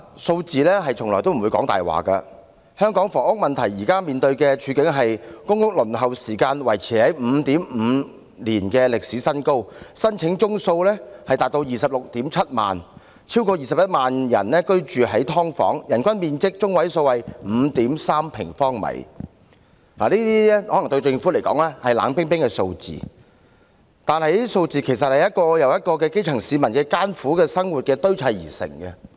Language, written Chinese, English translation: Cantonese, 數字從來不會說謊，香港房屋問題現時面對的處境是：公屋輪候時間維持在 5.5 年的歷史高位，申請宗數達 267000， 超過 210,000 人居於"劏房"，人均居住面積中位數為 5.3 平方米。對政府來說，這些可能是冷冰冰的數字，但它們其實是由一個又一個基層市民的艱苦生活堆砌而成。, Numbers do not lie . The housing problem faced by Hong Kong currently is like that the waiting time for public rental housing maintained at a historical high of 5.5 years the number of applications is 267 000 more than 210 000 people living in subdivided units the median per capita floor area of accommodation is 5.3 sq m These may be ice - cold figures to the Government but they are actually made up by the grass roots and everyone of them is leading a difficult life